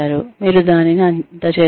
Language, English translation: Telugu, You delivered it